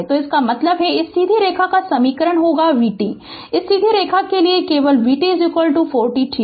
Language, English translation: Hindi, So that means, your this your this equation of this straight line will be your what you call; v t for this straight line only v t is equal to 4 t right